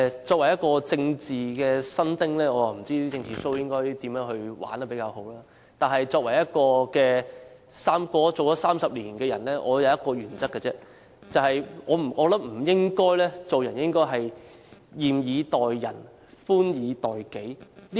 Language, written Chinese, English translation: Cantonese, 作為一名政治新丁，我不知道"政治秀"應該怎樣才玩得比較好；但作為一個活了30年的人，我只有一個原則，就是做人不應該"嚴以待人、寬以待己"。, As a novice in politics I have no idea how a political show can be better staged . And yet having lived for 30 years I follow only one principle that is do not be strict with others but lenient towards oneself